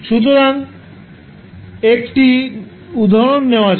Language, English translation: Bengali, So, let us take one example